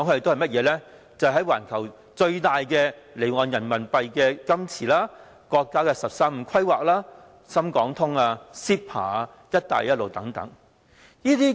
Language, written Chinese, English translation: Cantonese, 就是環球最大的離岸人民幣資金池、國家"十三五"規劃、深港通、CEPA、"一帶一路"等。, They are the worlds largest offshore Renminbi liquidity pool the National 13 Five Year Plan the Shenzhen - Hong Kong Stock Connect CEPA the Belt and Road Initiative and so on